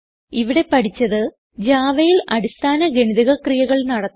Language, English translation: Malayalam, we have learnt How to perform basic mathematical operations in Java